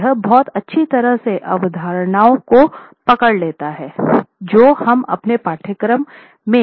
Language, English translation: Hindi, And now this very nicely captures all the concepts that we've been examining earlier in our course as well